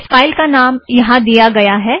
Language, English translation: Hindi, The name of this file is given here